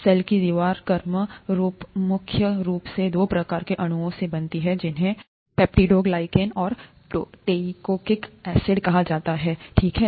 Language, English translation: Hindi, As a cell wall is predominantly made up of two kinds of molecules called ‘peptidoglycan’ and ‘teichoic acids’, okay